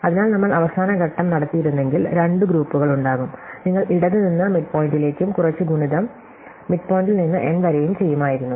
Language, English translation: Malayalam, So, if we did the final stage we would have had two groups, so you would have done some product from the left to the midpoint and some product from the midpoint to the end